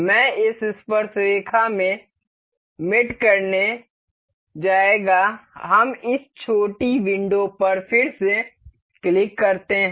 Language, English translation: Hindi, I will go to mate in this tangent, we click on this small window again